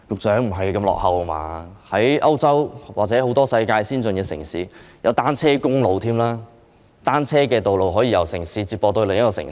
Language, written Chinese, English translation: Cantonese, 在歐洲或世界很多先進城市，已設有單車公路，單車道路可以由一個城市接駁至另一個城市。, Many advanced cities in Europe or around the world have already had cycling highways and their cycle tracks can connect one city to another